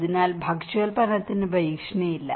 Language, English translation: Malayalam, So that the food production is not threatened